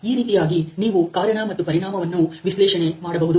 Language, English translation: Kannada, So, that is how you can analyze the cause and effect